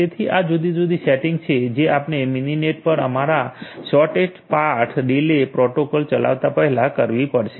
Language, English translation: Gujarati, So, these are these different settings that will have to be done before we run our thus shortest path delay protocol on Mininet